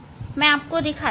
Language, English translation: Hindi, let me show